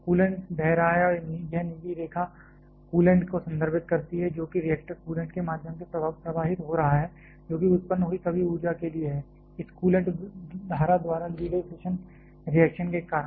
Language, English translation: Hindi, The coolant is flowing this blue line refers to coolant through which is flowing through the reactor coolant that for all the energy that has been generated; because of the fission reaction that are taken by this coolant stream